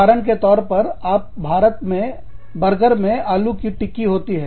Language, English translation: Hindi, For example, the burger in India, has a potato patty, in it